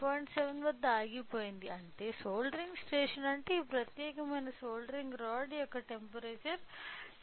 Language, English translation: Telugu, 7 which means the soldering station this particular soldering rod the temperature of the soldering rod is 10